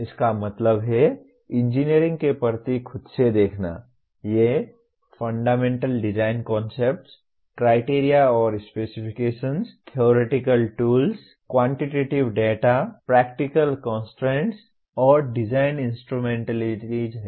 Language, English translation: Hindi, That means looking at engineering per se these are Fundamental Design Concepts; Criteria and Specifications; Theoretical Tools; Quantitative Data; Practical Constraints and Design Instrumentalities